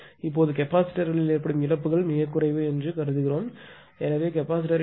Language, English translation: Tamil, Now, hence assume the losses in the capacitors are negligible suppose there is no loss in the capacitor therefore, the rating of the capacitor bank will be 168